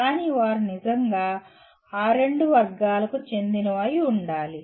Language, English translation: Telugu, But they truly should belong to those two categories